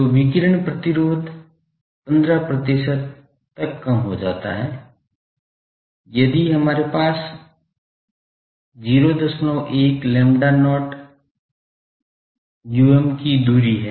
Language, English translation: Hindi, So, radiation resistance gets reduced by 15 percent if we have a spacing of 0